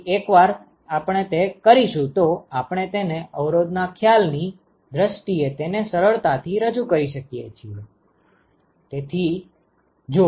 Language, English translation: Gujarati, So, once we do that now we can easily represent it in terms of the resistance concept